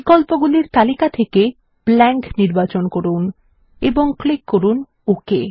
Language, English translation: Bengali, From the list of options, select Blank and click OK